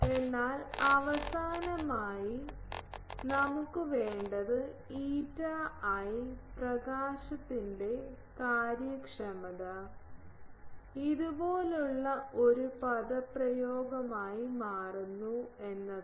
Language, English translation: Malayalam, But finally, what we need is that eta i the illumination efficiency that becomes an expression something like this